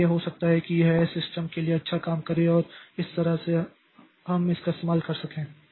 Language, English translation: Hindi, So maybe it is, it may be it will work well for many systems and that way we can use it